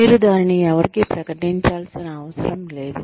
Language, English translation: Telugu, You do not have to declare it to anyone